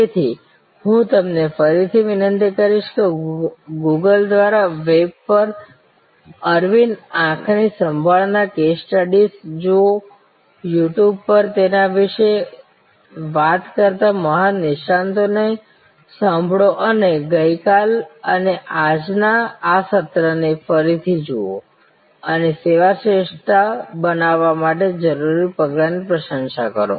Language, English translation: Gujarati, So, I will request you again to look at Aravind eye care case studies on the web through Google, listen to great experts talking about them on YouTube and look at this session of yesterday and today again and appreciate the nuances, the steps that are necessary to create service excellence